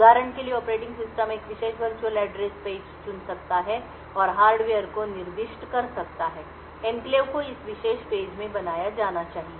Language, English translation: Hindi, For example, the operating system could choose a particular virtual address page and specify to the hardware that the enclave should be created in this particular page